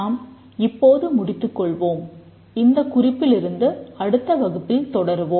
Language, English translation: Tamil, We will stop now, continue from this point in the next class